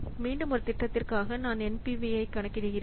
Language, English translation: Tamil, So, again, for the project one I am calculating the NPV